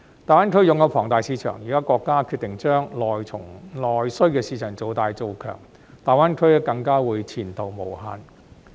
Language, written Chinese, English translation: Cantonese, 大灣區擁有龐大市場，現在國家決定將內需市場做大、做強，大灣區更加會前途無限。, There is a huge market in GBA and its future has become even more promising after the country decided to make the domestic market bigger and stronger